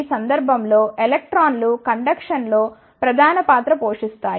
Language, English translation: Telugu, In this case electrons play may role in the conduction